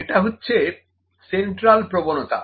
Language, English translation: Bengali, It is the central tendency